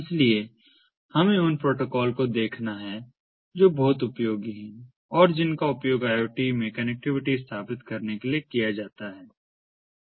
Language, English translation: Hindi, so there we are to look at protocols that are very much useful and that are used for establishing connectivity in iot